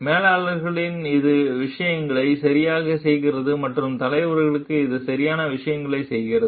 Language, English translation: Tamil, In managers, it is do things right and for leaders, it is do the right things